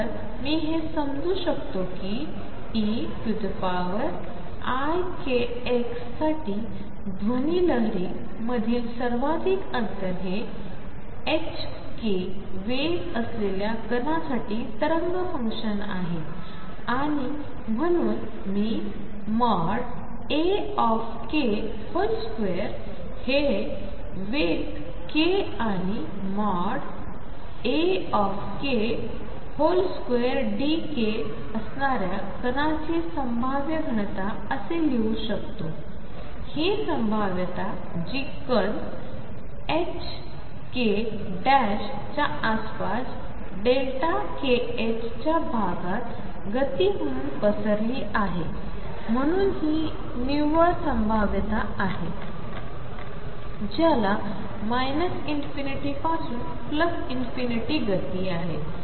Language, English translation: Marathi, So, this I can enterprise as is the amplitude for e raise to i k s which is the wave function for a particle having momentum h cross k and therefore, I can write that mod a k square is the probability density for particle to have momentum k and a k mod square delta k this is the probability that particle has momentum spread or momentum in the interval delta k h cross delta k around h cross k h prime and therefore, the net probability